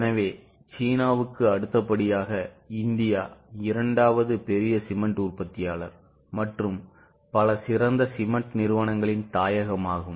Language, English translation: Tamil, So, India's second largest cement producer after China is a home to number of top cement companies